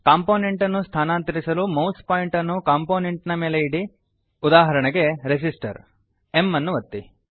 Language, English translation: Kannada, To move a component, keep the mouse pointer on a component, say resistor, and then press m